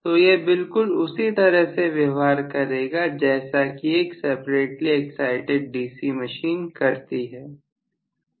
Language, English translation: Hindi, So it is exactly behaving in the same manner as that of a separately excited DC machine, right